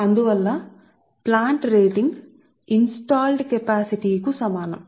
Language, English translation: Telugu, therefore plant rating is equal to installed capacity